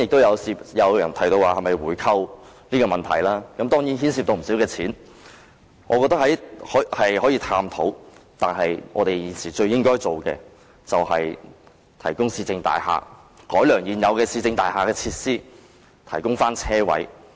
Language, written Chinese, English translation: Cantonese, 有人提到回購，關於這問題，當然牽涉不少金錢，我覺得可以探討，但現時最應該做的是提供市政大廈設施、改良現有市政大廈的設施、提供車位。, Some people have proposed a buy - back . This certainly costs a lot of money . I think it can be explored but what should be done right now is to provide more facilities of municipal services buildings improve the facilities of existing municipal services buildings and provide parking spaces